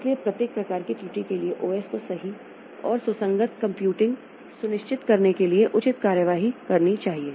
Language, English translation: Hindi, So, for each type of error OS should take appropriate action to ensure correct and consistent computing